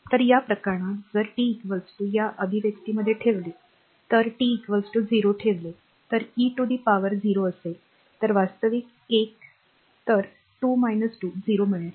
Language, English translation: Marathi, So, in this case if t is equal to you put in this expression, if you put t is equal to 0 right then what will be there the e to the power 0